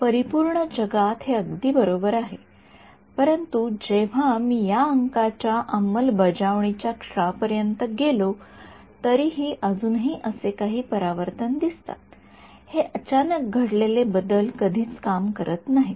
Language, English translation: Marathi, In the perfect world this is great right, but even when I go the moment I implement it numerically there are still some reflections that happened this abrupt change never works